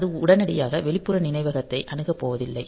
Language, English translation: Tamil, So, that it does not go to access the external memory immediately